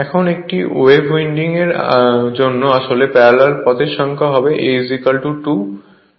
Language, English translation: Bengali, Now, for a wave winding actually number of parallel path is always 2, A is equal to 2